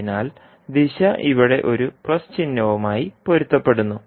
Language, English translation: Malayalam, So the direction is conforming to a plus sign here